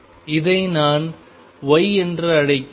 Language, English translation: Tamil, So, this is my y, this is x